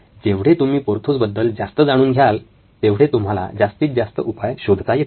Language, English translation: Marathi, So, more you know about Porthos you can actually get more solution